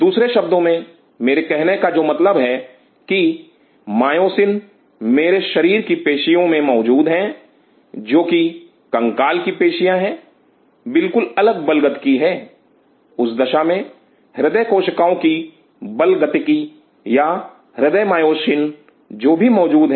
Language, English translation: Hindi, In other word what I mean to say is the myosin present in these muscles of my body, which are the skeletal muscle are entirely different force dynamics, then the force dynamics of the cardiac cells or cardiac myosin which are present